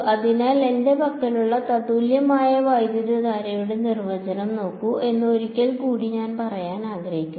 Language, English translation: Malayalam, So, once again I want to say look at the definition of the equivalent current that I have